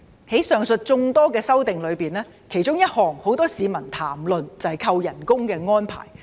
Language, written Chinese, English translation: Cantonese, 在上述眾多修訂之中，其中一項有很多市民談論，就是扣減酬金的安排。, Among the numerous amendments one amendment has been widely discussed and that concerns the arrangements for remuneration deduction